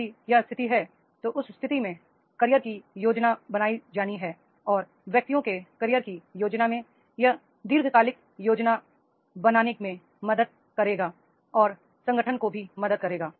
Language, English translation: Hindi, If this is the situation then in that case the career planning is to be made and in this career planning of the individuals that will help to create the long term career planning and organizations are there